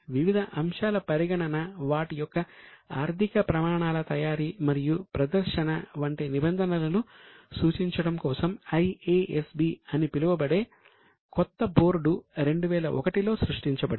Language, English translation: Telugu, Now, a new board known as IASB was created in 2001 to prescribe the norms for treatment of various items on preparation and presentation of financial standards